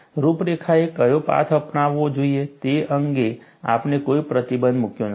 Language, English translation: Gujarati, We have not put any restriction, which path the contour should take